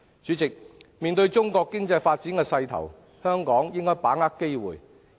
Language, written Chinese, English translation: Cantonese, 主席，面對中國經濟發展的勢頭，香港應該把握機會。, President Hong Kong should grasp the opportunities presented by the growth momentum of Chinas economy